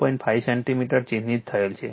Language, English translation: Gujarati, 5 centimeter is equal to 0